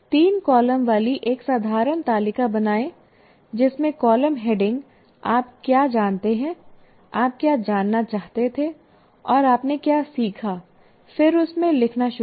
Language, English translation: Hindi, You create a kind of a table with three columns where you write, what do I know, what I wanted to know, and what is it that I have learned